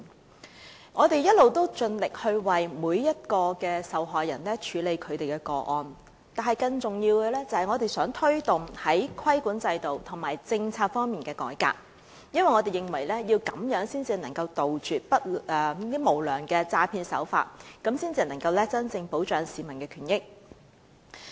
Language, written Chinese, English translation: Cantonese, 雖然我們一直盡力為每名受害人處理個案，但更重要的是我們想推動在規管制度和政策方面的改革，因為這樣才能杜絕無良的詐騙手法，真正保障市民權益。, All along we have done our very best the victims cases . But more importantly we hope to promote reform of the regulatory regime and policy because this is the only way to eradicate unscrupulous and deceptive practices and truly safeguard peoples rights and interests